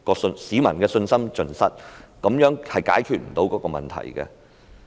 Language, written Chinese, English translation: Cantonese, 市民的信心已經盡失，這樣並不能解決問題。, The public have lost their confidence completely and this is not going to solve the problem